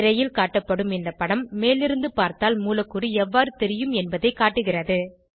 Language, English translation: Tamil, The image on the screen shows how the molecule looks from the top